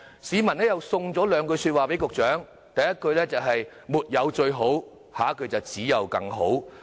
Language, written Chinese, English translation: Cantonese, 市民又送了兩句說話給局長，第一句是："沒有最好"，下一句是："只有更好"。, A member of the public has also given the Secretary this piece of advice There is no such thing as the best just better